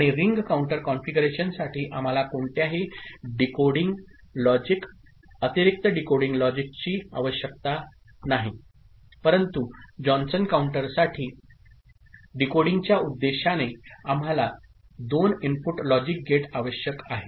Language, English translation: Marathi, And for ring counter configuration we do not need any decoding logic, extra decoding logic, but for Johnson counter we need 2 input logic gate for decoding purpose